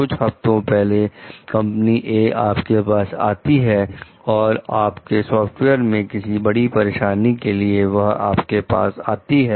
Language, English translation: Hindi, A few weeks ago company A came to you about a major difficulty with your software